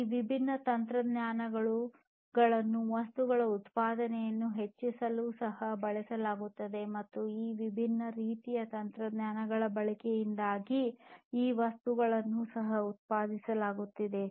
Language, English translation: Kannada, So, all of these different technologies will be used in order to increase the production of number of objects and these objects that are also being produced, because of the use of all of these different types of technologies